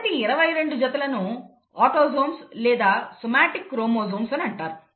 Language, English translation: Telugu, The first 22 pairs are actually called autosomes or somatic chromosomes, somatic for body, somatic chromosomes